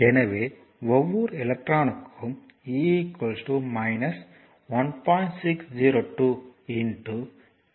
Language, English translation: Tamil, So, each electron has e is equal to minus 1